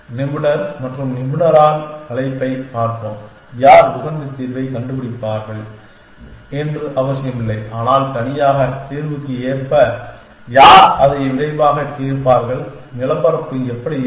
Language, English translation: Tamil, Let us see call when expert and by expert we mean not necessarily who will find optimal solution, but who will solve it quickly according to alone solution, how will the terrain how will that journey look like